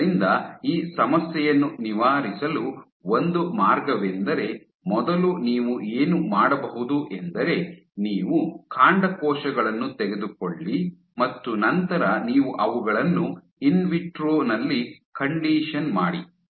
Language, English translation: Kannada, So, one way to get around this problem is first of all what you can do is you take stem cells you condition them in vitro